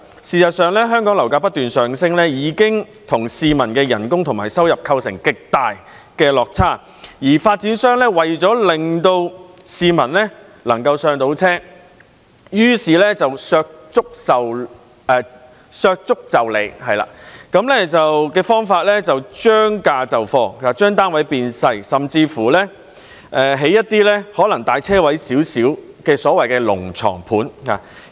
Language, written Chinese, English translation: Cantonese, 事實上，香港的樓價不斷上升，已經與市民的工資和收入出現極大的落差，而發展商為了令市民能夠"上車"，於是以削足就履的方法，將價就貨，把單位變小，甚至興建一些可能只是較車位大一點的所謂"龍床盤"。, In fact the soaring property prices in Hong Kong have already resulted in a huge gap between such prices and the wages as well as income of the public . Therefore property developers have adopted the approach of trimming the toes to fit the shoes by providing inferior flats at lower prices . To enable members of the public to purchase flats developers would construct smaller units or even those so - called dragon bed units which may only be a little larger than a parking space